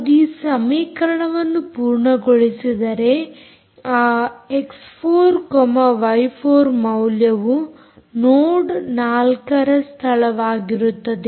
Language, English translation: Kannada, if it satisfies this equation, that value x, y, x, four, y, four, is the location of the node four